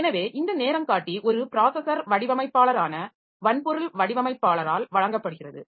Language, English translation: Tamil, So, this timer is provided by the hardware designer that is the processor designer, it should have a timer in the system